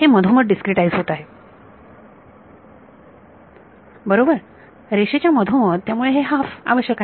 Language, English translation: Marathi, It is being discretized in the middle right; middle of the line so that is why the plus half is necessary